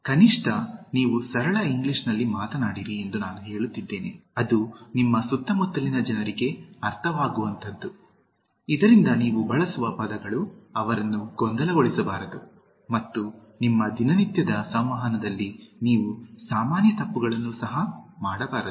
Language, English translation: Kannada, I am saying that at least you speak in simple English, that is understandable by the people around you, so that you do not confuse words and you do not commit common mistakes in your day to day communication